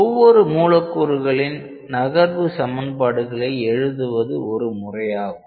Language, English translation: Tamil, One possibility is that we write the equations of motion for each of these molecules